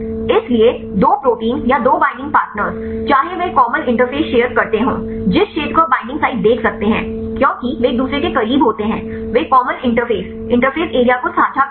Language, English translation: Hindi, So, the two a proteins or the two binding partners whether they share a common interface that region you can see the binding sites because they are close to each other, they share the common interface interface area